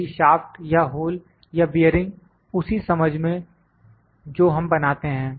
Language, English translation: Hindi, Both the like, if the shaft or the hole or the bearing in the sense we manufacture